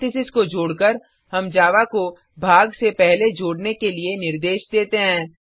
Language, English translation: Hindi, By adding parentheses, we instruct Java to do the addition before the division